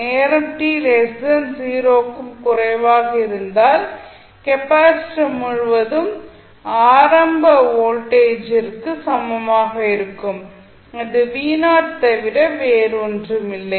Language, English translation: Tamil, For time t less than 0 the value is equal to the initial voltage across the capacitor that is v naught